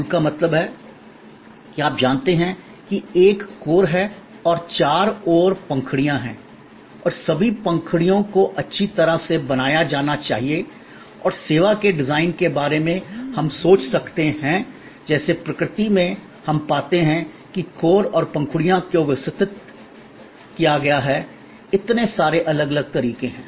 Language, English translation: Hindi, The flower means that, you know there is a core and there are petals around and all the petals must be well formed and the design of the service can we thought of, just as in nature we find that the core and the petals are arranged in so many different ways